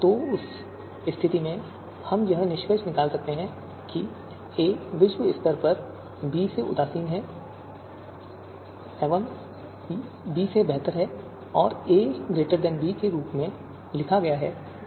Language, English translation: Hindi, So in that , in that case, we can deduce that a is globally better than b and written as a greater than b